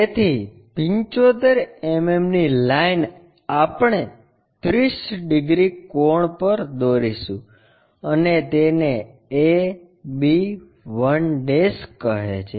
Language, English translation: Gujarati, So, the 75 mm a line we will draw at 30 degree angle and it stops call that 1 b 1'